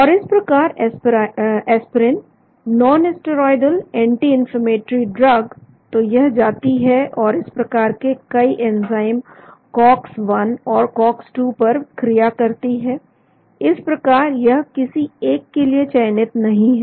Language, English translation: Hindi, And so aspirin the nonsteroidal anti inflammatory drug, so it goes and acts on many of these enzymes cox 1 and cox 2 so it is being not selective actually